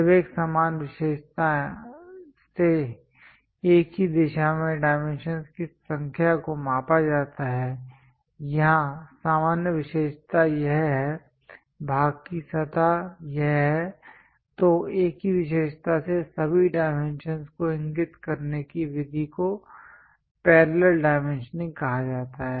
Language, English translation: Hindi, When numbers of dimensions are measured in the same direction from a common feature; here the common feature is this, that is surface of the part then method of indicating all the dimensions from the same feature is called parallel dimensioning